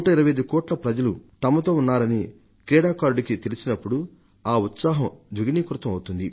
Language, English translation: Telugu, This becomes a source of strength in itself, when the sportsperson feels that his 125 crore countrymen are with him, his morale gets boosted